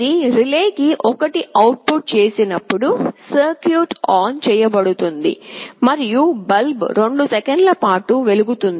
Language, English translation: Telugu, When it outputs 1 to relay, the circuit will be switched ON and the bulb will glow for 2 seconds